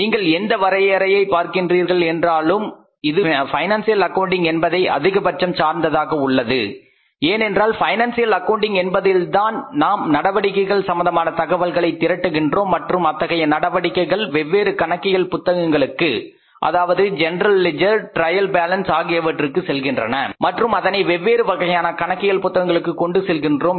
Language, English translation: Tamil, If you look at this definition largely it is linked to the financial accounting because in the financial accounting we create a system where we collect the information under that system transaction and when the transaction goes to the different books of accounts, general leisure and trial balance, we collect that information and put it to the different books of accounts and by doing that we summarize it